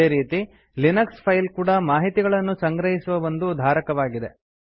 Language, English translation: Kannada, Similarly a Linux file is a container for storing information